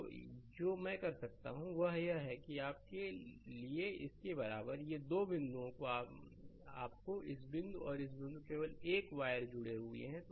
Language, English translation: Hindi, So, what I can do is for getting this your this equivalent to this; These two point are your this point and this point is connected by a wire only